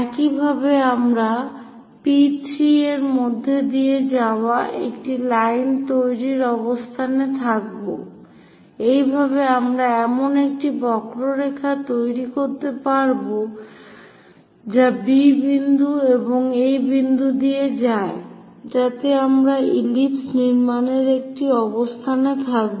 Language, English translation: Bengali, In that way, we will be in a position to construct all that curve which pass through B point and also at this point, so that we will be in a position to connects construct ellipse